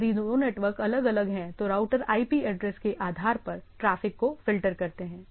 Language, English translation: Hindi, If the two networks are different, router filter traffic based on IP address